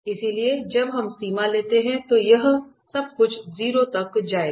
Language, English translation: Hindi, So, when we take the limit this everything will go to 0